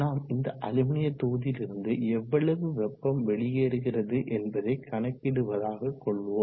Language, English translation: Tamil, So now let us calculate what is the heat flow out of the sides of the aluminum block